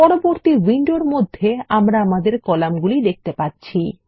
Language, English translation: Bengali, In the next window, we see our columns